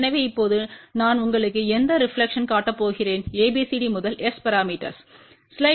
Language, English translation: Tamil, So, now, I am going to show you the relation which is ABCD to S parameters